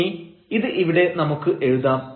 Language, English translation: Malayalam, So, let us write down this here